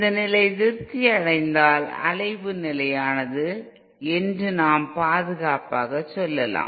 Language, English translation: Tamil, If this condition is satisfied then we can safely say that the oscillation is stable